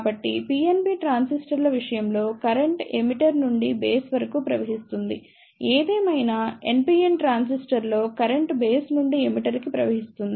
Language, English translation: Telugu, So, in case of PNP transistors, current flows from emitter to the base; however, in case of NPN transistor current flows from base to the emitter